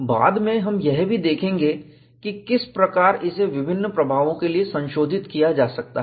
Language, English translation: Hindi, Then, we will also look at, how this could be modified for different effects